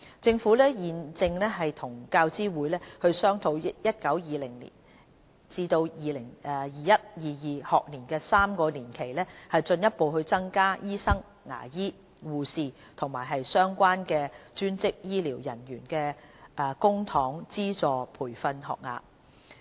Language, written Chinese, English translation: Cantonese, 政府現正與教資會商討於 2019-2020 學年至 2021-2022 學年的3年期，進一步增加醫生、牙醫、護士和相關專職醫療人員的公帑資助培訓學額。, The Government is discussing with UGC to further increase the publicly - funded training places for doctors dentists nurses and relevant allied health professionals in the 2019 - 2020 to 2021 - 2022 triennium